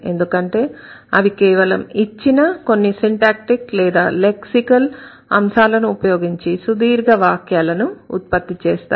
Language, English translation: Telugu, They are wonderful because we just a given set of few syntactic or few lexical items, you can actually create very long sentences